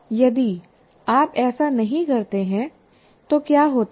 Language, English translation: Hindi, Now if you don't do this, what happens